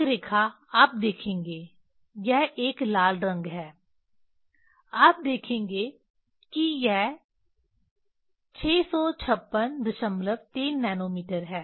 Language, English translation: Hindi, One line you will see this is a red color you will see that is the 656